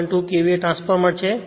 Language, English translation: Gujarati, 2 KVA transformer